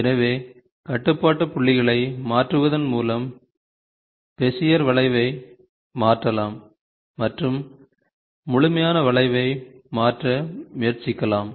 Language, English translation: Tamil, So, the modification of Bezier curve by tweaking the control points you can try to tweak the complete curve